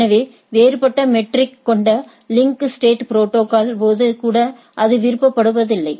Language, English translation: Tamil, So, that is not preferred even in case of a link state protocol that is different metric